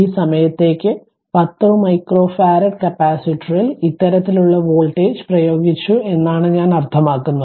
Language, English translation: Malayalam, I mean this kind of voltage applied to 10 micro farad capacitor for this time duration